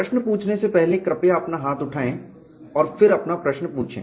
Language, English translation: Hindi, Before you ask the questions, please raise your hand, and then ask your question